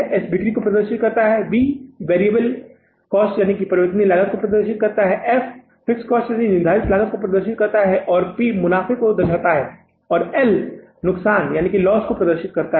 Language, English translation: Hindi, Profits p stands for the profit and L stands for the variable cost, F stands for the fixed cost, profits P stands for the profit and L stands for the loss